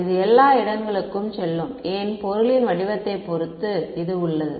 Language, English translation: Tamil, It will go everywhere and why depending on the shape of the object